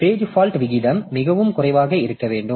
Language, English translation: Tamil, So, page fault rate should be very, very low